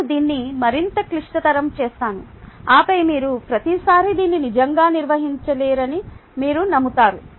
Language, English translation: Telugu, i will even complicate this further, and then you would be convinced that intuitively, you cannot really manage it every time